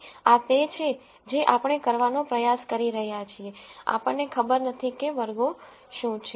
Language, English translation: Gujarati, So, this is what we are trying to do, we do not know what the classes are